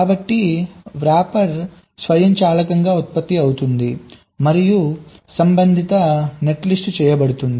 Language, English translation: Telugu, so the rapper will be automatically generated and the corresponding net list is done